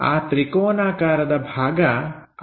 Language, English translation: Kannada, So, the triangular portion will be that